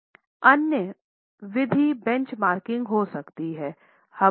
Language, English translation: Hindi, Other method could be benchmarking